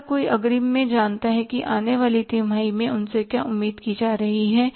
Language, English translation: Hindi, Everybody knows in advance that what is expected from them in the coming quarter